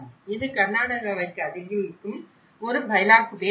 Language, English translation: Tamil, This is a Bylakuppe settlement in Southern Karnataka